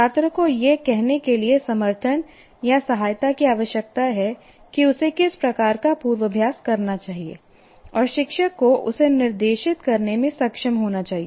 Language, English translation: Hindi, Student needs to be supported or helped to say what kind of rehearsal he should be doing and teacher should direct that